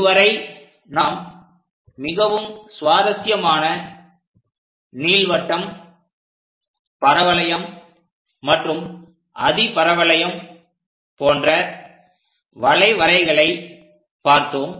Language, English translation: Tamil, So, till now we have looked at very interesting curves like ellipse, parabola and hyperbola